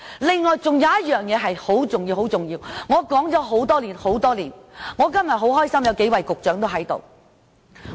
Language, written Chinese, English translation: Cantonese, 此外，還有一件很重要的事，我說了很多年，我今天很高興見到有幾位局長在席。, There is another very important thing . I have been talking about it for years . I am glad to see several Directors of Bureaux present here